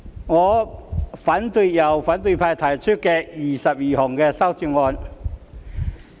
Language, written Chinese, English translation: Cantonese, 我反對由反對派提出的21項修正案。, I oppose the 21 amendments proposed by the opposition camp